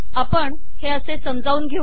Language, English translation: Marathi, So we explain this as follows